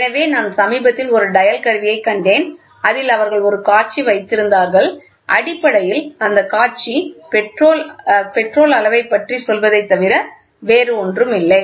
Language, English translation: Tamil, So, I recently saw a dial instrument wherein which they had a display and this was basically nothing but to tell about the petrol level and here was the display which said